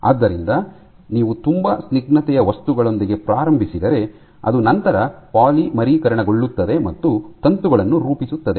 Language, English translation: Kannada, So, you start off with the very viscous material, which then polymerizes and forms filaments